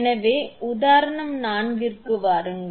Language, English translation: Tamil, So, come to your example four